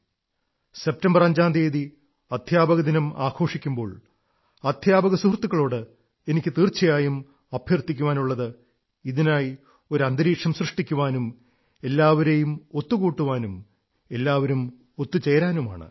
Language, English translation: Malayalam, With Teachers day to be observed on September 5th, I call upon all our teacher friends to start preparing and join hands to create an environment bringing everyone into its fold